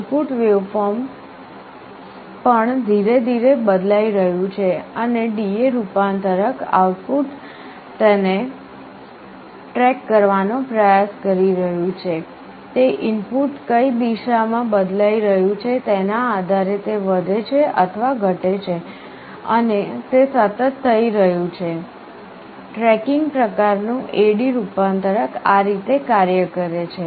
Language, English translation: Gujarati, The input waveform is also changing slowly and D/A converter output is trying to track it, it is a either increasing or decreasing depending on which direction the input is changing and this is happening continuously; this is how tracking AD converter works